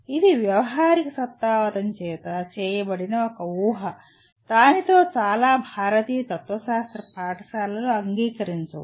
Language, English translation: Telugu, This is an assumption that is made by pragmatism, with which I am sure many Indian schools of philosophy will not agree